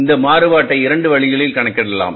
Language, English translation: Tamil, Now this variance can also be calculated in two ways